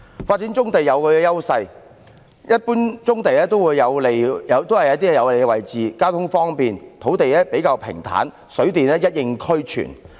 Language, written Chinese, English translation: Cantonese, 發展棕地有其優勢，一般棕地均處於有利位置，交通方便，土地較平坦，水電一應俱全。, The development of brownfield sites has its advantages . Most brownfield sites are at favourable locations where traffic is convenient the land is relatively flat and water and power supply are readily available